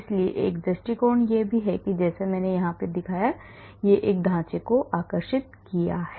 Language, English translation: Hindi, so one approach is by drawing the structures like I showed here